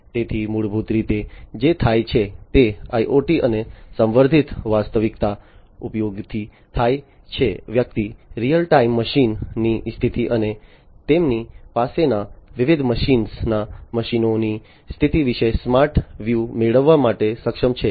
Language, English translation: Gujarati, So, basically what happens is with the use of IoT and augmented reality, one is able to get a smart view about the real time machine status and the condition of the machines of the different machines that they have